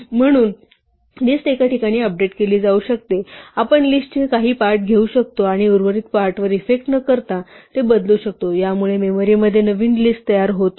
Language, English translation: Marathi, So, a list can be updated in place we can take parts of a list and change them without effecting the remaining parts it does not create a new list in memory